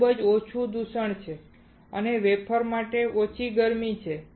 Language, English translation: Gujarati, There is very less contamination and less heating to the wafer